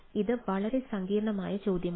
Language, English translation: Malayalam, so this is a very complex question